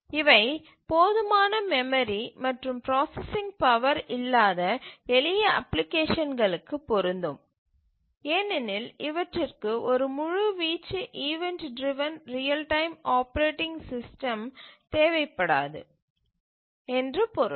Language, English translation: Tamil, These are also meant for simple applications where there is not enough memory and processing power to run a full blown event driven real time operating system